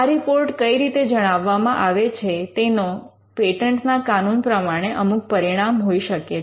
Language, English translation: Gujarati, How this report is communicated can have certain implications in patent law